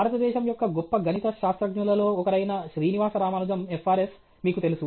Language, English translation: Telugu, Srinivasa Ramanujam FRS, you know, one of the India’s great mathematicians